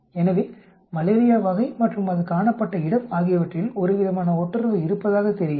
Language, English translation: Tamil, So there seems to be some sort of a correlation, on type of malaria and the type of and the location or place from which it is observed